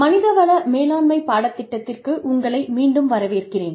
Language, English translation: Tamil, Welcome back, to the course on, Human Resources Management